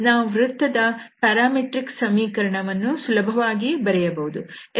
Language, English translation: Kannada, So the parametric equation of this curve of the circle we can easily write down